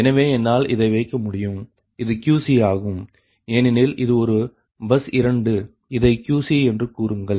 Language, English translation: Tamil, then if you see that this is qc, it is qc, so i can put it is qc two because it is a bus two